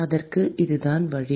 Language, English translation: Tamil, So, that is the solution